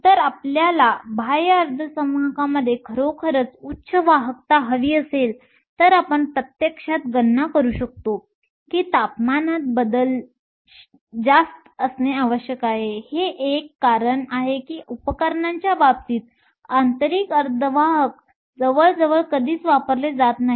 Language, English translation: Marathi, If you want the really high conductivities that we see in the extrinsic semiconductors can actually calculate that the temperature change must be much higher, this is one of the reason why intrinsic semiconductors are almost never used in the case of devices